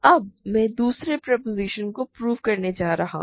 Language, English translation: Hindi, Now, I am going to prove the second proposition